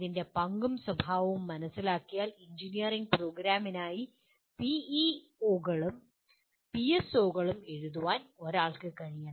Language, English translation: Malayalam, And having understood the role and the nature of this the second outcome is one should be able to write the PEOs and PSOs for an engineering program